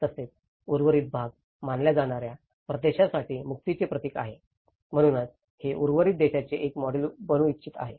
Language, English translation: Marathi, Also, a symbol of emancipation for a region considered by the rest, so it want to be a model for the rest of the country